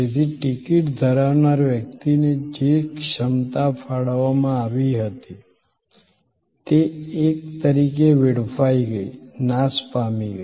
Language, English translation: Gujarati, So, capacity that was allotted to the person holding the ticket is in a way wasted, perished, gone